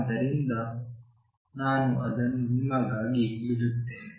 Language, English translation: Kannada, So, I leave it for you